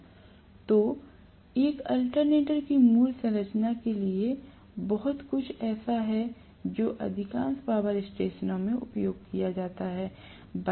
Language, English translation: Hindi, So, much so for the basic structure of an alternator that are used in most of the power station